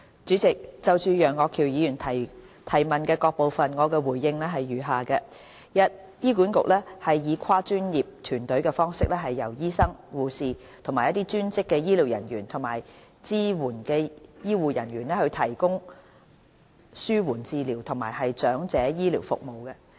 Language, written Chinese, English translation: Cantonese, 主席，就楊岳橋議員質詢的各部分，我答覆如下：一醫院管理局以跨專業團隊的方式，由醫生、護士、專職醫療人員和支援醫護人員提供紓緩治療及長者醫療服務。, President my reply to the various parts of Mr Alvin YEUNGs question is as follows 1 The Hospital Authority HA provides palliative care and elderly health care services through multi - disciplinary teams comprising doctors nurses allied health professionals and supporting grade staff